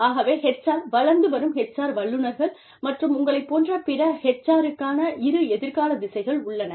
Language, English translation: Tamil, So, two future directions for HR, budding HR professionals, like you all